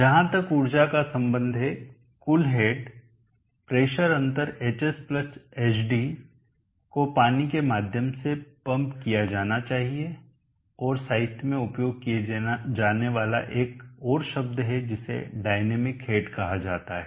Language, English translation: Hindi, So as far the energy is concerned the total head the better defense should pump water through hs + hd and there is another term used in the literature which is called the dynamic head